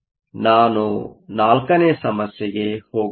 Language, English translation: Kannada, Let me now go to problem 4